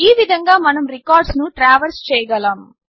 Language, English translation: Telugu, This way we can traverse the records